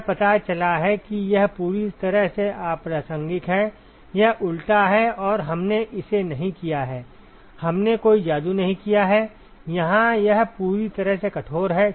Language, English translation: Hindi, It just turns out that it is completely irrelevant, it is counterintuitive and it is we have done it we have not done any magic here it is completely rigorous